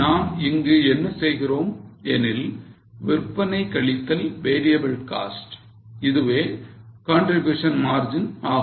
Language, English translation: Tamil, So, what we do is here the sales minus variable cost is nothing but a contribution margin